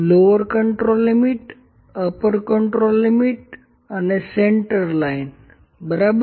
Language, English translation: Gujarati, Lower control limit, upper control limit and centerline, ok